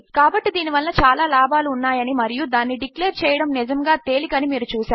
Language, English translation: Telugu, So you can see that this has lots if uses and its really easy to declare